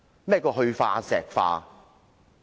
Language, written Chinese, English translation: Cantonese, 何謂"去化石化"？, What is meant by defossilization?